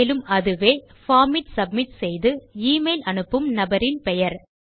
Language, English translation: Tamil, And that is the name of the person sending the email by submitting the form